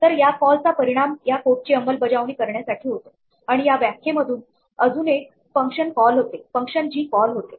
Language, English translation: Marathi, So, this call results in executing this code and this definition might have yet another function called in it call g